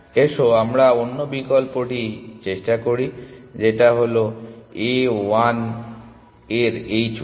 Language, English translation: Bengali, Let us try the other option which is h 1 of A